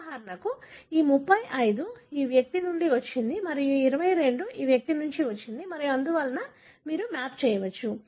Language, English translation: Telugu, For example, this 35 has come from this individual and this 22 has come from this individual and so on, you can map